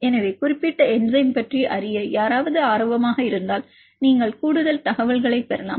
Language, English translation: Tamil, So, you can get more information if anybody interested to know about the particular enzyme